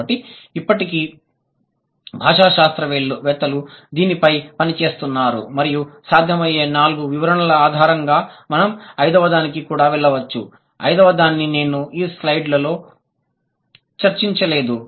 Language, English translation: Telugu, And on this, on the basis of the four possible explanations, we can also go to the fifth one, the fifth one which I didn't discuss in this slide